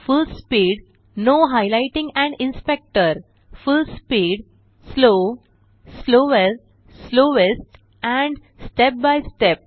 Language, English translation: Marathi, Full speed Full speed, slow, slower, slowest and step by step